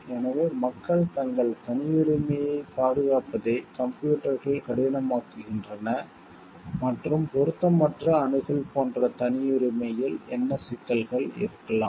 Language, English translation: Tamil, So, it is computers are make it difficult for people to protect their privacy and what could be the issues in privacy like inappropriate access